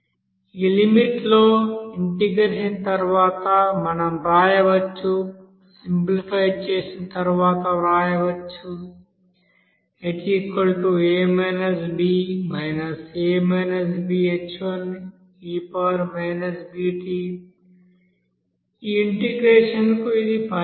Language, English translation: Telugu, Now after integration, we can write after integration within this limit, we can write after simplification, So this will be your solution of this integration